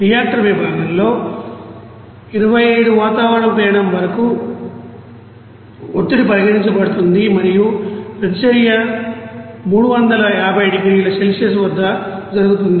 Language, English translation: Telugu, And in the reactor section, the pressure up to 25 atmospheric pressure will be considered and the reaction will be done at 350 degree Celsius